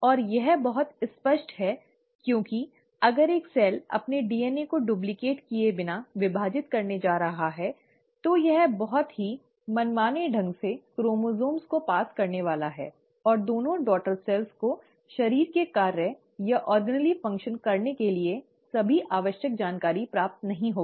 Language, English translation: Hindi, And it is very obvious because if a cell without even duplicating its DNA is going to divide, it is just going to pass on the chromosomes in a very arbitrary fashion and the two daughter cells will not receive all the necessary information to do the body functions or the organelle function